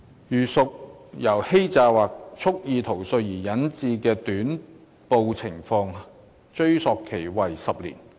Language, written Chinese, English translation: Cantonese, 如屬由欺詐或蓄意逃稅而引致的短報情況，追溯期為10年。, Where the discrepancies are due to fraud or wilful evasion the retrospective period is 10 years